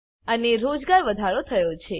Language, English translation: Gujarati, And Employment has increased